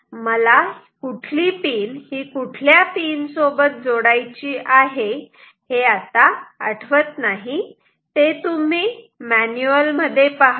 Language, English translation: Marathi, So, I do not, I never remember which pin corresponds to which pin that you see in the manual